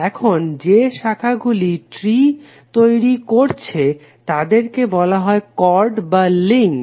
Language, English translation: Bengali, Now the branches is forming a tree are called chords or the links